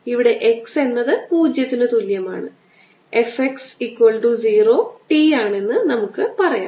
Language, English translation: Malayalam, f at x is equal to zero, to the function of time t here